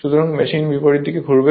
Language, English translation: Bengali, So, machine will rotate in the opposite direction right